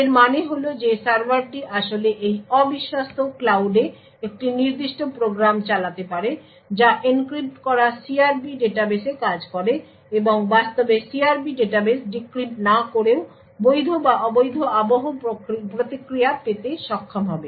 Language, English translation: Bengali, This means that the server could actually run a particular program in this un trusted cloud which works on the encrypted CRP database and would be able to actually obtain weather the response is in fact valid or not valid even without decrypting the CRP database